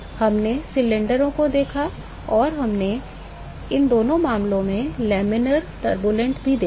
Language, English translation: Hindi, We looked at cylinders and we also looked at laminar turbulent in both these cases